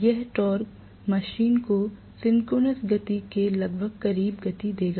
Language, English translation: Hindi, That torque will accelerate the machine almost close to the synchronous speed